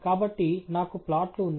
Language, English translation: Telugu, So, I have a plot